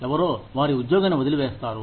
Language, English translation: Telugu, Somebody, just leaves their job